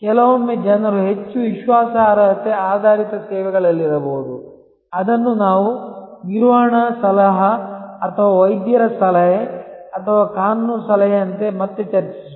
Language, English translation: Kannada, Sometimes people may particularly in more credence based services, which we will discuss again like a management consultancy or doctors advice or legal advice